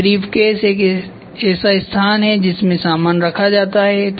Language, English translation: Hindi, Then briefcase is a place where it is for storage